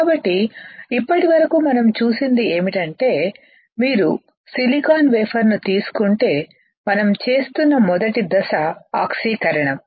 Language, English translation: Telugu, So, until now what we have seen is that if you take a silicon wafer the first step that we were performing was oxidation